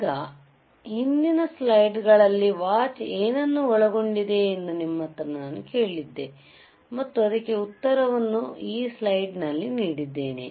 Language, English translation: Kannada, Now, I asked you a question what a watch consists of right,in the previous slides and I have given you the answer also in this slide